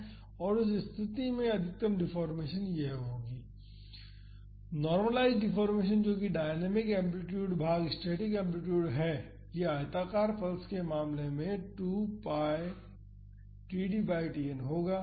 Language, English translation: Hindi, And, in that case the maximum deformation would be this; the normalized deformation that is the dynamic amplitude divided by the static amplitude would be 2 pi td by Tn in the case of a rectangular pulse